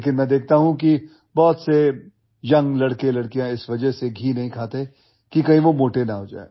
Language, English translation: Hindi, But I see that many young boys and girls do not eat ghee because they fear that they might become fat